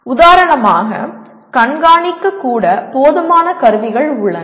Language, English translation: Tamil, And for example to even monitor, are there adequate tools available